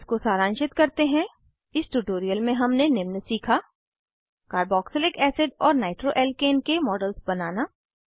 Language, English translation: Hindi, Lets summarize: In this tutorial we have learnt to * Create models of carboxylic acid and nitroalkane